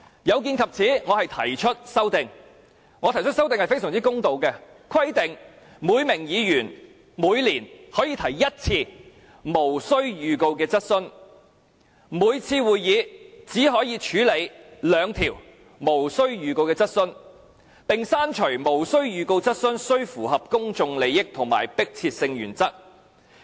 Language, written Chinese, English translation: Cantonese, 有見及此，我提出修正案，而我提出的修正案非常公道，就是規定每名議員每年可以提一次無經預告的質詢，每次會議只可以處理兩項無經預告的質詢，並刪除無經預告的質詢須與公眾有重大關係和性質急切的原則。, Against this background I propose a very fair amendment which provides that each Member can ask a question without notice every year and each meeting can only deal with two questions without notice . Besides the principle that the question without notice can only be asked on the ground that it relates to a matter of public importance and is of an urgent character will be deleted